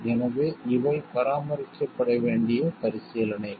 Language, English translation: Tamil, So, these are the considerations that require to be maintained